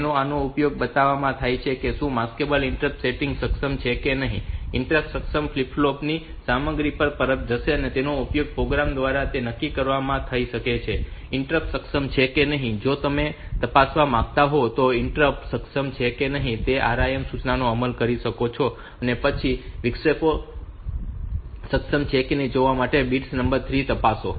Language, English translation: Gujarati, Then bit 3 so this is used to show whether the Maskable interrupt processing enable or not it will return the content of the interrupt enable flip flop and it can be used to used by program determine whether interrupts are enabled or not if you want to check whether the interrupts enabled or not so you can execute RIM instruction and then check bit number 3 of it to see whether the interrupts are enabled